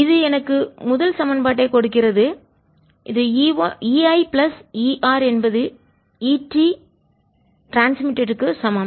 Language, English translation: Tamil, and this gives me the first equation, which is e r i plus e r is equal to e transmitted